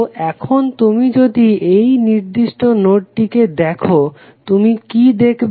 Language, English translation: Bengali, So, now if you see this particular node, what you can see